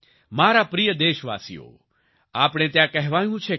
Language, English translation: Gujarati, My dear countrymen, we it has been said here